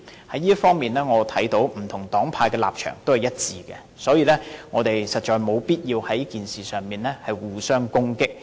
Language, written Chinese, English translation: Cantonese, 就這方面，我看到不同黨派的立場也是一致的，所以，我們實在沒有必要在這事上互相攻擊。, In this connection I have seen that different political parties and groupings share the same position . Therefore it is indeed unnecessary for us to attack each other insofar as this issue is concerned